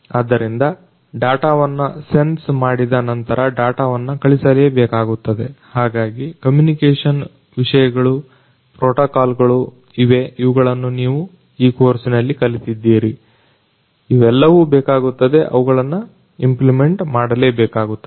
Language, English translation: Kannada, So, after the sensing of the data, the data will have to be sent, so that communication the communication aspects, the protocols that are there which you have studied in this course, all of these are going to be required they have to be implemented